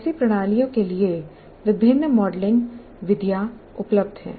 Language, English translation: Hindi, There are modeling methods available for such systems